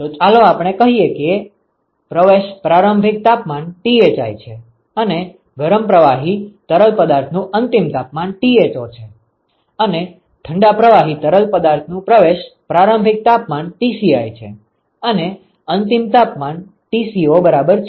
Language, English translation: Gujarati, So, let us say that the inlet temperature is Thi and the outlet temperature of the hot fluid is Tho, and the inlet temperature of the cold fluid is Tci and the outlet temperature is Tco ok